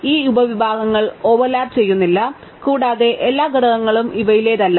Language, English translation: Malayalam, So, these subsets do not overlap, right and every element belongs to one of these things